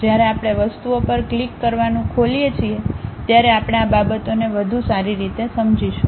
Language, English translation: Gujarati, When we are opening clicking the things we will better understand these things